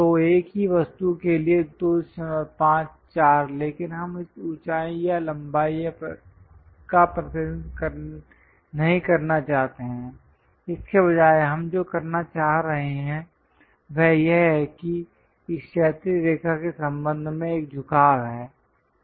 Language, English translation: Hindi, 5, 4, but we do not want to represent this height or length, instead of that what we are trying to do is this is having an incline, incline with respect to this horizontal line